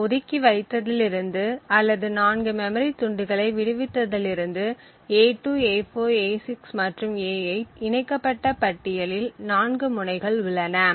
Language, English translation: Tamil, So, since we have deallocated or which since we have freed 4 chunks of memory a2, a4, a6 and a8 we have 4 nodes in the linked list